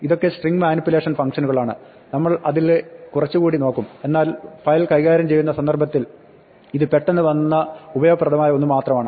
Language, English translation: Malayalam, These are the string manipulation functions and we will look at some more of them, but this is just useful one which has come up immediately in the context of file handling